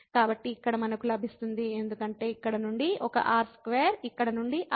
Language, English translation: Telugu, So, here we will get because one r square from here from here